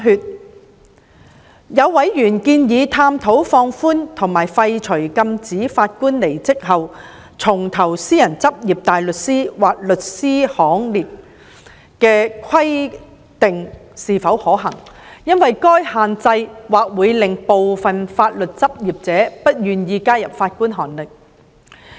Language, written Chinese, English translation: Cantonese, 也有委員建議探討放寬或廢除禁止法官離職後重投私人執業大律師或律師行列的規定是否可行，因為該限制或會令部分法律執業者不願意加入法官行列。, Some members have suggested exploring the feasibility of relaxing or lifting the prohibition against Judges return to private practice as barristers or solicitors because such prohibition might discourage some legal practitioners from joining the Bench